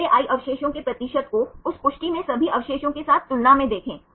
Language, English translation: Hindi, First see the percentage of the residue i in that confirmation compared with all the residues in a same conformation